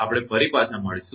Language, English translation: Gujarati, We will be back again